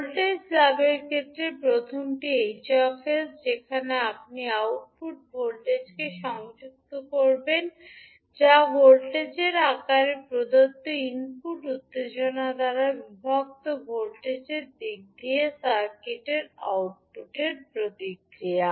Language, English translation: Bengali, First is H s in terms of voltage gain where you correlate the output voltage that is output response of the circuit in terms of voltage divided by input excitation given in the form of voltage